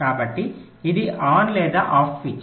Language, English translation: Telugu, so it is either a on, ah on, or a off switch